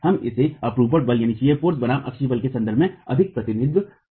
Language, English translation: Hindi, We tend to represent it more in terms of shear force versus axial force